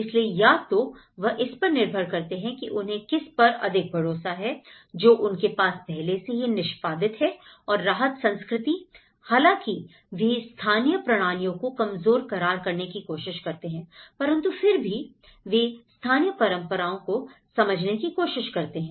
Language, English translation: Hindi, So, they either depend on the, they either rely more on what they have already executed and also the relief culture though they try to undermine the local systems, they try to understand, undermine the local traditions